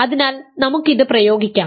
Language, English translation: Malayalam, So, let us the apply this